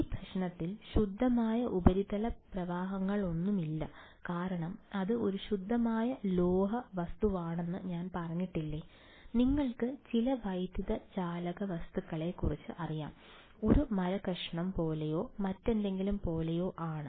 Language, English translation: Malayalam, In this problem, there are no pure surface currents, because I did not say that it was a pure metallic object you know some dielectric object right like, you know like piece of wood or whatever right